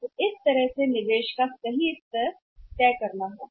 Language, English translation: Hindi, So, that way has to decide the optimum level of investment